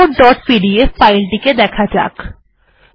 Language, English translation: Bengali, Lets go to this report dot pdf